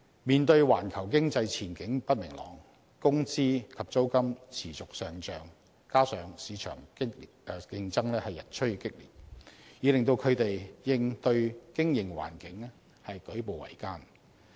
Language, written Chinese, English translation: Cantonese, 面對環球經濟前景不明朗，工資及租金持續上漲，加上市場競爭日趨激烈，已令他們應對經營環境舉步維艱。, Owing to the uncertain outlook of the global economy ever - rising wages and rents and the fact that market competition is getting more intense SMEs are having great difficulties under such business environment